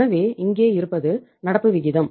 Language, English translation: Tamil, So current ratio is here uh